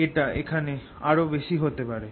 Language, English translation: Bengali, it could be even more out here